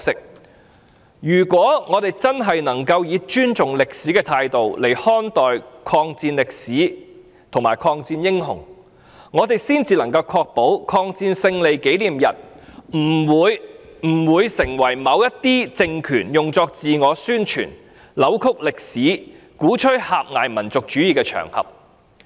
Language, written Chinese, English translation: Cantonese, 我們如果真的能夠以尊重歷史的態度來看待抗戰歷史和抗戰英雄，才能確保抗日戰爭勝利紀念日不會成為某些政權用作自我宣傳、扭曲歷史、鼓吹狹隘民族主義的場合。, We should view the history of the war of resistance and the heroes in the war with genuine respect to history if we want to ensure that the Victory Day of the Chinese Peoples War of Resistance against Japanese Aggression will not become an occasion for some regimes to give publicity to themselves distort history or advocate narrow - minded nationalism